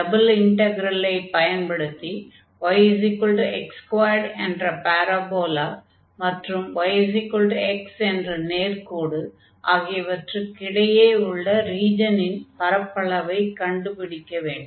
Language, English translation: Tamil, So, here using a double integral find the area of the region enclosed by the parabola y is equal to x square and y is equal to x